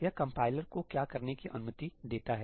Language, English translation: Hindi, What does it allow the compiler to do